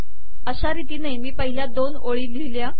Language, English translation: Marathi, So I have written the first two rows